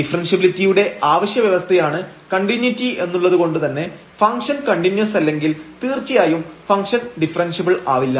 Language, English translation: Malayalam, Because the continuity is the necessary condition for differentiability, if the function is not continuous definitely the function is not differentiable